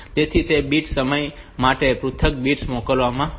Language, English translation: Gujarati, So, for that bit time the individual bits will be sent